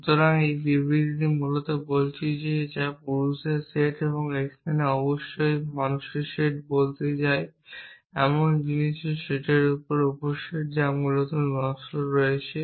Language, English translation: Bengali, So, this statement is essentially saying that the set of men and here off course we mean set of human beings is the subset of the set of things which have mortal essentially